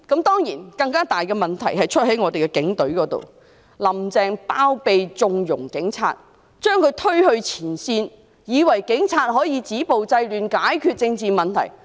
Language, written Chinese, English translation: Cantonese, 當然，更大的問題在於警隊，"林鄭"包庇和縱容警察，把他們推向前線，以為警察可以止暴制亂，藉此解決政治問題。, It is evident that the bigger problem rests with the Police Force . Carrie LAM shelters and connives at the Police pushes them to the front line thinking that the Police can stop violence and curb disorder by means of which the political problems can be resolved